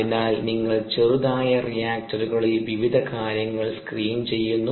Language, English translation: Malayalam, so you screen various things at small, small reactors